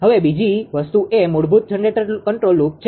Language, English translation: Gujarati, Now, second thing is the basic generator control loop right